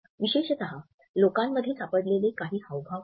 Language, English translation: Marathi, Particularly, there are certain gestures which people have found